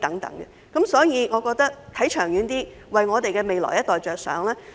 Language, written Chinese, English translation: Cantonese, 因此，我認為要看得長遠一點，為我們未來一代着想。, Therefore I think that we should be a bit more forward - looking and consider the needs of our future generation